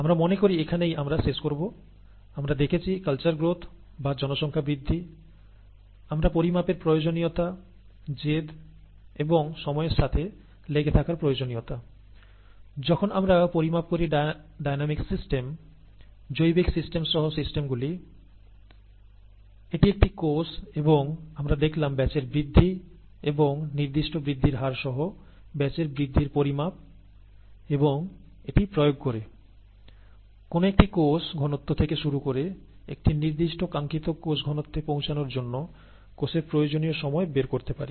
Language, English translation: Bengali, I think that is where we will sign off here, , we have seen culture growth or population growth, we have seen the need for quantification, insistence and the importance of sticking to time rates in trying to, when, when we quantify systems, dynamic systems, including biological systems, that is a cell, and then we looked at batch growth and quantification of batch growth through specific growth rate and in application of that, to find out the time that is required to reach a certain desired cell concentration starting from a certain cell concentration